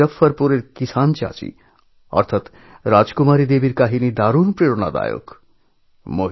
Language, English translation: Bengali, 'Farmer Aunty' of Muzaffarpur in Bihar, or Rajkumari Devi is very inspiring